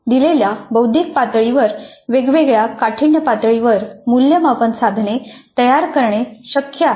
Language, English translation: Marathi, So, at a given cognitive level it is possible to construct assessment items at different cognitive, different difficulty levels